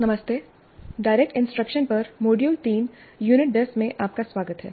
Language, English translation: Hindi, Greetings, welcome to module 3, unit 10 on direct instruction